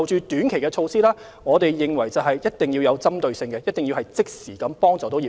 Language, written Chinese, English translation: Cantonese, 短期措施方面，我們認為一定要有針對性，一定要即時協助業界。, We consider that short - term measures must be targeted and should be able to assist the industries immediately